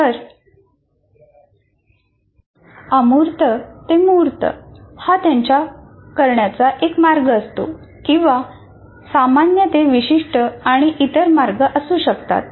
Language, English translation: Marathi, So abstract to concrete is one of their ways of doing it, are general to specific and so on